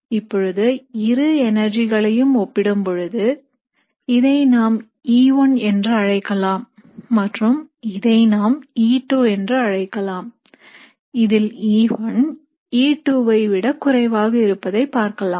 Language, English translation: Tamil, Now when you compare both these energies, let us call this E1 and let us call this E2, what you would observe is that E1 is less than E2